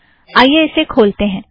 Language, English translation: Hindi, So let me open this